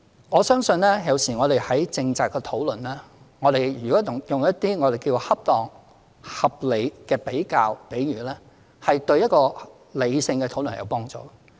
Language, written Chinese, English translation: Cantonese, 我相信有時我們進行政策討論，如果用一些我們稱為恰當、合理的比較或比喻，有助於進行理性的討論。, I think sometimes during policy discussion the usage of some appropriate reasonable comparisons or analogies can facilitate a rational discussion